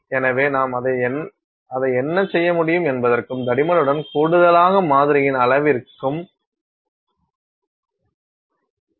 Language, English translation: Tamil, So, some restrictions would be there on what I can do with it and also the size of the sample in addition to the thickness